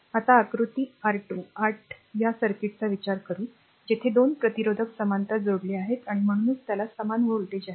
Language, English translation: Marathi, Now, consider this circuit of figure your 28, right; Where 2 resistors are connected in parallel, and hence they have the same voltage across them